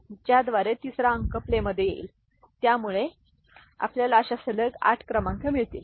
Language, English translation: Marathi, So, by which the third digit comes into play, so that will give us 8 such consecutive numbers